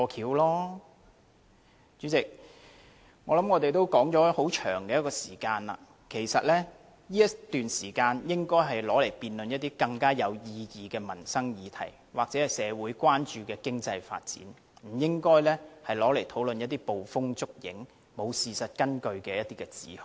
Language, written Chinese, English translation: Cantonese, 代理主席，我們已辯論很長時間了，這時間應該用以辯論一些更有意義的民生議題，或社會關注的經濟發展，不應該用以討論一些捕風捉影、沒有事實根據的指控。, Deputy President we have been debating on this topic for a long time which should have been spent on discussing some more significant livelihood issues or economic development issues of social concern instead of those imaginary unsubstantiated accusations